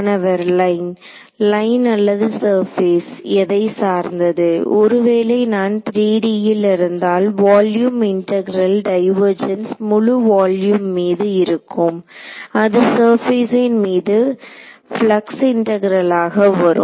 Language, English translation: Tamil, Line or surface depending on what so if I in 3D a volume integral divergence over entire volume becomes a flux integral over the surface